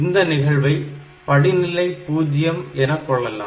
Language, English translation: Tamil, So, you can write another step as step number 0 here